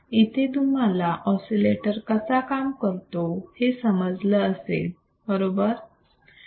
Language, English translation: Marathi, Let us see what exactly oscillators are